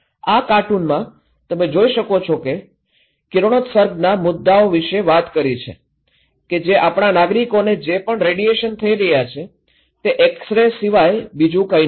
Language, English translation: Gujarati, In this cartoon, you can look that talking about the radiation issues that whatever radiations our citizen are getting is no more than an x ray